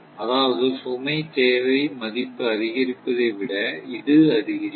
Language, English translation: Tamil, I mean, increase rather increase load demand value